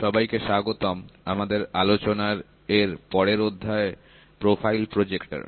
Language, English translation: Bengali, Welcome to the next chapter of discussion which is profile projector